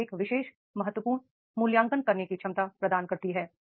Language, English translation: Hindi, So, therefore an education provides the capability to make the critical evaluation